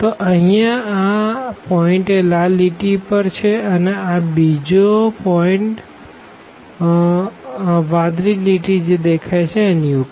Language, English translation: Gujarati, So, here clearly this point here lies on the red line and this point also lies on the blue line